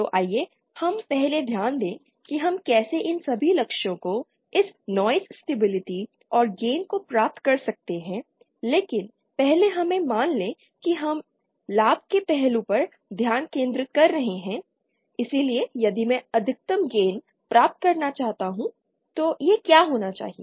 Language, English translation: Hindi, So let us first concentrate we’ll see how we can achieve all these targets this noise stability and gain but first let us suppose we are concentrating on the gain aspect so if I want to achieve the maximum gain then what should it be